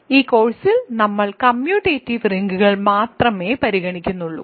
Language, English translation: Malayalam, So, in this course we will only consider commutative rings